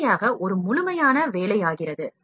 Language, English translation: Tamil, And finally, becomes a complete job